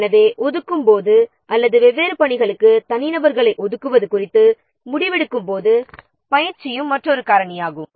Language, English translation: Tamil, So, training is also another factor while allocating or while taking the decision regarding allocation of individuals to different tax